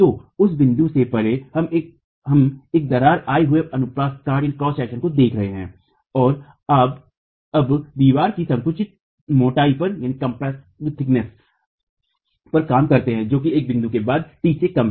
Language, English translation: Hindi, So beyond that point, we're looking at a cracked cross section and you have now work on the compressed thickness of the wall, which is less than T after this point